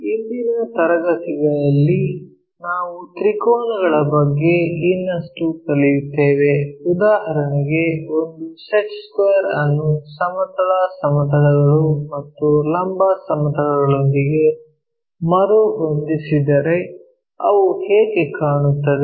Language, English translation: Kannada, In today's class we will learn more about triangles for example, a set square if it is reoriented with horizontal planes and vertical planes, how do they really look like